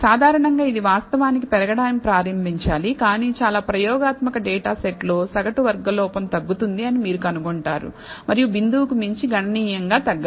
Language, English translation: Telugu, Typically this should actually start increasing but in most experimental data sets you will find that the mean squared error on the validation set flattens out and does not significantly decrease beyond the point